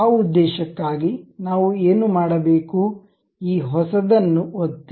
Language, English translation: Kannada, For that purpose, what we have to do, click this new